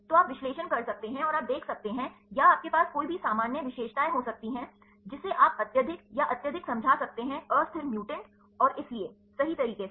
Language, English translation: Hindi, So, you can do the analysis and you can see, or you can have any a common features, which you can explain the highly stabled, or highly unstabled mutants and so, on right